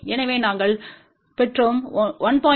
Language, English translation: Tamil, So, they will add up